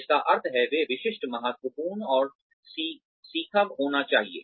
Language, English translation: Hindi, Which means, they should be specific, significant, and stretching